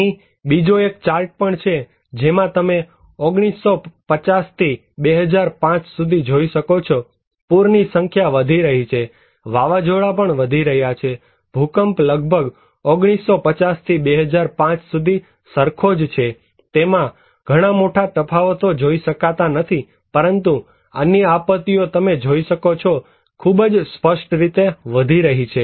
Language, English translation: Gujarati, So, also here is another chart you can see from 1950 to 2005, the number of events that flood is increasing, storm also are increasing, earthquake is almost the same as from 1950’s to 2005, you cannot see much huge differences but other disasters you can see they are increasing very prominently